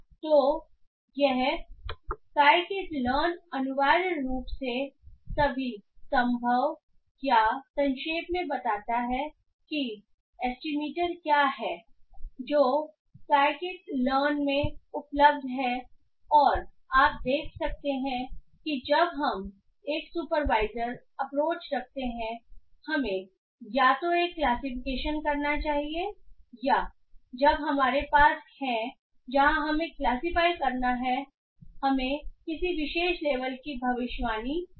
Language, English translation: Hindi, So, this cheat sheet essentially provides all possible or it basically summarizes what are the different estimators that is available in Psykit and you can see that when we do a supervised approach we should be either doing a classification or when we have where we have to classify or we have to predict a particular label